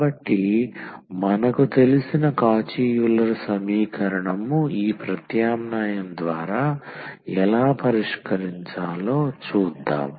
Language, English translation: Telugu, So, this is the Cauchy Euler equation which we know that how to solve by this substitution